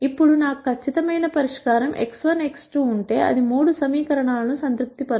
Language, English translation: Telugu, Now if I had a perfect solution x 1 x 2 which will satisfy all the three equations